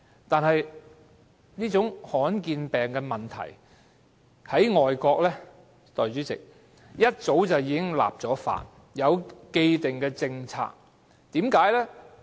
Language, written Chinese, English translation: Cantonese, 不過，代理主席，罕見疾病的問題在外國早已立法，有既定政策。, However Deputy President in overseas countries laws on addressing rare diseases have been enacted and there are established policies